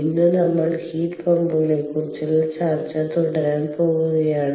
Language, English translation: Malayalam, today, what we will do is we will continue with our discussion on heat pumps